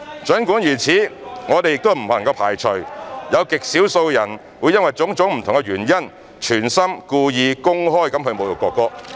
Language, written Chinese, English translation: Cantonese, 儘管如此，我們仍不能排除有極少數人會因為種種不同的原因，存心、故意、公開侮辱國歌。, Having said that we still cannot rule out the possibility that a tiny handful of people might for various reasons insult the national anthem deliberately intentionally and publicly